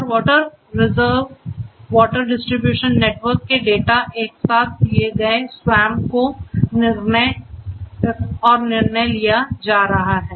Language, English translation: Hindi, And data about data from the water reserve water distribution network their data everything fed together at SWAMP and decisions being made